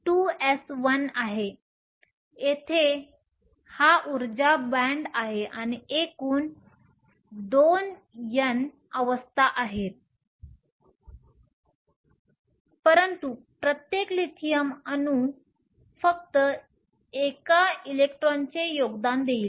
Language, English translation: Marathi, So, this is the energy band here and there are a total of 2N states but each Lithium atom will only contribute one electron